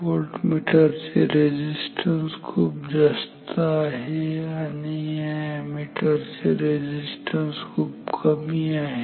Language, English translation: Marathi, Voltmeter resistance is very high ammeter resistance is very low